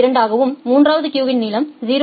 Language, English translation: Tamil, 2 and the third queue has a length of 0